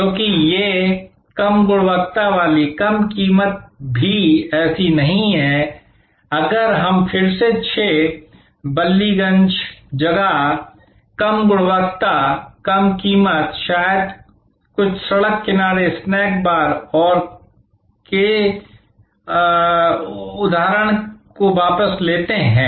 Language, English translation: Hindi, Because, these low quality low price also is not like if we take that again back to that example of 6 Ballygunge place, this low quality, low price maybe possible in some road side snack bars and so on